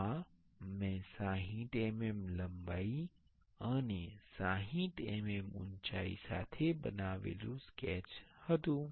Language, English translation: Gujarati, This was the sketch I have made with 60 mm length and 60 mm height